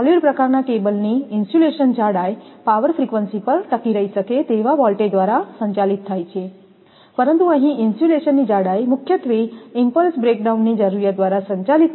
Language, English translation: Gujarati, The insulation thickness of a solid type cable is governed by requirement of withstand voltage at power frequency; but, here the insulation thickness is mainly governed by requirement of impulse breakdown